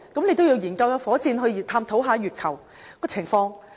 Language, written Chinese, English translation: Cantonese, 你也得研究火箭，探討月球的情況。, You have to at least study how the rocket works and know about the situation on the moon